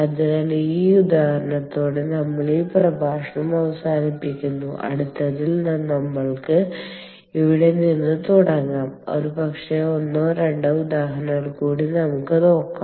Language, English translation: Malayalam, ok, so with that, with that example, we will conclude this lecture and in the next one we will take off from here and probably look at one or two more examples